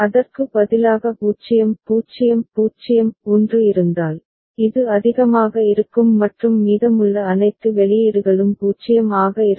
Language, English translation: Tamil, If instead 0 0 0 1 is present, this will be high and rest all the outputs will be 0